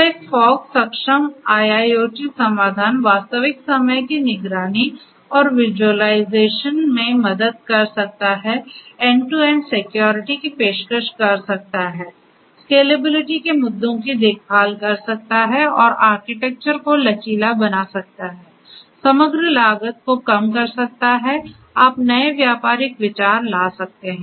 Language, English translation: Hindi, So, a fog enabled IIoT solution can help in, number one real time monitoring and visualization, offering end to end security, scalable taking care of scalability issues and making the architecture flexible overall, reducing the overall cost and novel trading ideas